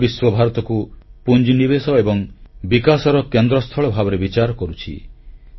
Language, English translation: Odia, The whole world is looking at India as a hub for investment innovation and development